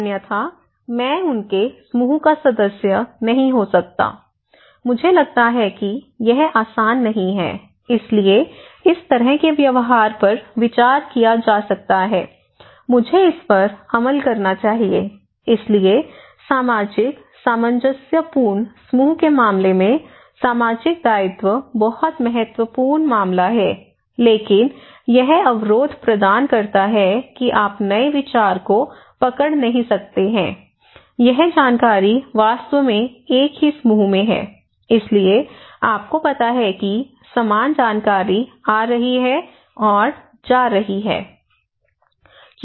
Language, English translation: Hindi, Otherwise, I cannot be member of them, member of their group, I feel isolated not easy, so deviant behaviour it could be considered so, I should follow that one so, social obligation is very important in case of a social, a cohesive group case but it provides another constraint of this one that you cannot grab the new idea, it is the information is actually in the same group so, you have the same kind of gossip you know the same information is coming and going coming and going